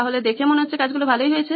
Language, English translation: Bengali, So it looks like things went well